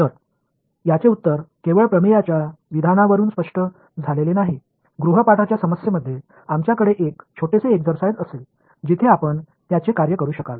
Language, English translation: Marathi, So, the answer to that is not clear just from the statement of the theorem, we will have a small exercise in the homework problem where you can work it out